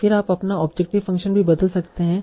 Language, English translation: Hindi, Then you can also change your objective function